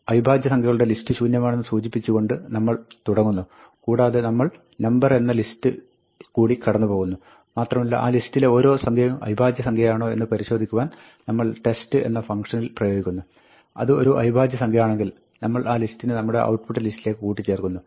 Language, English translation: Malayalam, We start off by saying that, the list of primes we want is empty, and we run through the number list, and for each number in that list, we apply the test, is it a prime; if it is a prime, then we append the list to our output list